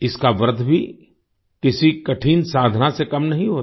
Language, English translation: Hindi, The fasting in this is also not less than any difficult sadhna